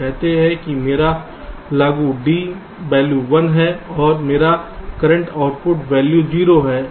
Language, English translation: Hindi, lets say my applied d value is one and my current output value is zero